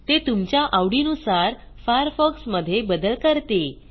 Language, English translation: Marathi, It customizes the Firefox browser to your unique taste